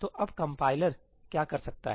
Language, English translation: Hindi, So, now what can the compiler do